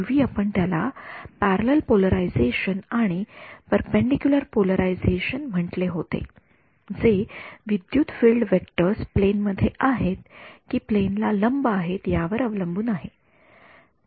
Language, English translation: Marathi, We had called it back then we had called them parallel polarization and perpendicular polarization depending on whether the electric field vectors in the plane or perpendicular to the plane right